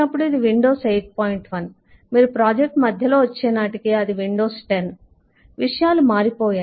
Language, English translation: Telugu, by the time you are in the middle of the project its windows 10